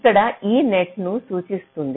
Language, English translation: Telugu, e denotes a net right